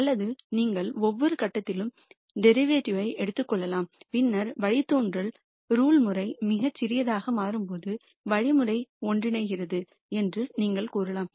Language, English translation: Tamil, Or you could take the derivative at every point and then when the derivative norm becomes very small you could say the algorithm converges